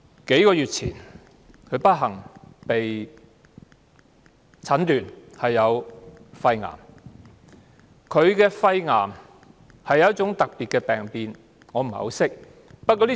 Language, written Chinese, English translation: Cantonese, 數月前，蘇太不幸被診斷患上肺癌。她的肺癌源於一種特別的病變，我也不太認識。, A few months ago Mrs SO was unfortunately diagnosed with lung cancer caused by a special mutation that I do not know much about